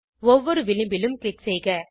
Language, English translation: Tamil, Click on each edge